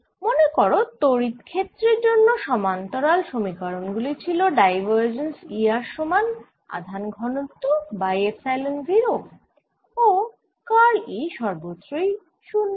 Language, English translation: Bengali, recall that the, the parallel equation for electric fields for like this, that we had divergence of e r to be the charge density divided by epsilon zero and curl of e everywhere is zero